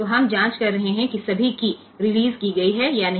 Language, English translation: Hindi, So, it is we are checking that whether all keys are released or not